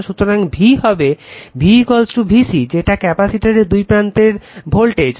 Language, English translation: Bengali, So, v will be v is equal to VC right that voltage across the capacitor